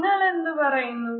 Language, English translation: Malayalam, All right, what do you say